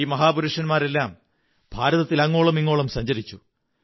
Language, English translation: Malayalam, All these great men travelled widely in India